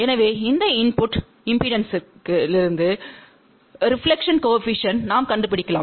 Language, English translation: Tamil, So, from this input impedance, we can find out the reflection coefficient